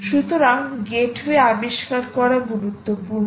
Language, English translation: Bengali, which means gateway discovery is important